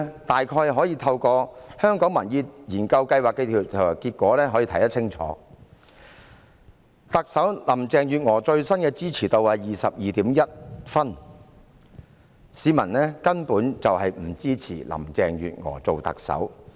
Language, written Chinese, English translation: Cantonese, 大概可以透過香港民意研究計劃的調查結果看清楚，特首林鄭月娥最新的支持度是 22.1 分，市民根本不支持林鄭月娥做特首。, We can probably see it clearly through the poll results of the Hong Kong Public Opinion Program . The latest popularity rating of Chief Executive Carrie LAM is 22.1 . In fact members of the public do not support Carrie LAM to serve as Chief Executive